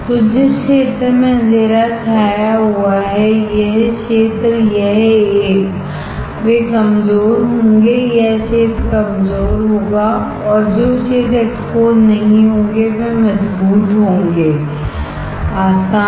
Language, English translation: Hindi, So, the area which is dark shaded, this area, this one, they will be weak this areas would be weak and the areas which are not exposed will be strong, easy